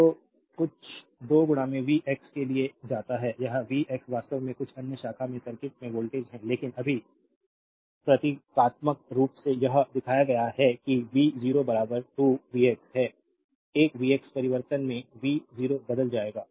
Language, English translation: Hindi, So, it is some 2 into v x is taken for, this is v x actually is the voltage in the circuit across some other branch right, but just symbolically it is shown that v 0 is equal 2 v x, a v x changes then v 0 will change right